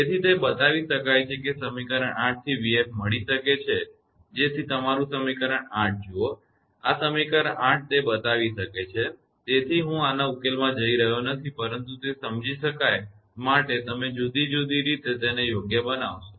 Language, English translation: Gujarati, So, it can be shown that equation 8 can be satisfied by v f is equal to that means your equation 8 look this one, this equation 8, it can be shown that I am not going to the solution of this one, but you will make it in different way for understandable right